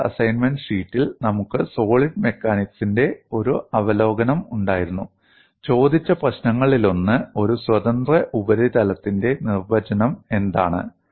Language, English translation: Malayalam, In the first assignment sheet, we had a review of solid mechanics, and one of the problems asked was, what is the definition of a free surface